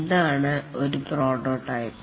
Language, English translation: Malayalam, What is a prototype